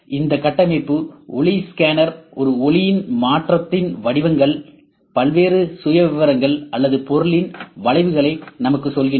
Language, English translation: Tamil, And these structure light scanner the patterns in the change of a light tells us the various profiles or the curves of the object